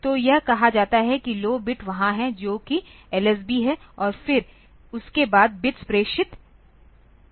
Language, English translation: Hindi, So, that is called the that is the low bit is there that is LSB and then after that the bits are transmitted